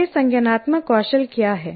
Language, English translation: Hindi, What are these cognitive skills